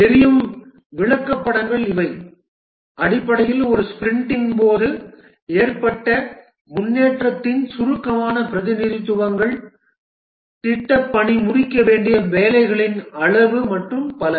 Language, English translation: Tamil, The burn down charts, these are basically concise representations of the progress during a sprint, the amount of the work to be done for project completion and so on